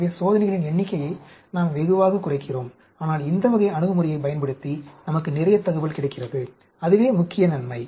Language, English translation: Tamil, So, we cut down the number of experiments tremendously, but we get lot of information using this type of approach; that is the main advantage